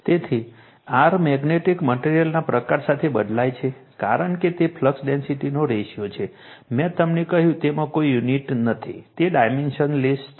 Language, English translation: Gujarati, So, mu r varies with the type of magnetic material, and since it is a ratio of flux densities I told you, it has no unit, it is a dimensionless